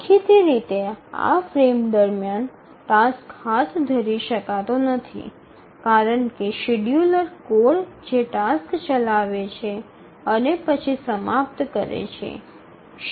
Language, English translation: Gujarati, Obviously the task cannot be taken up during this frame because if you remember the scheduler code that it just executes the task and then the scheduler ends